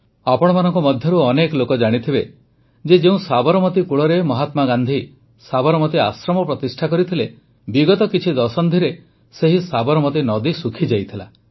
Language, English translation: Odia, Many of you might be aware that on the very banks of river Sabarmati, Mahatma Gandhi set up the Sabarmati Ashram…during the last few decades, the river had dried up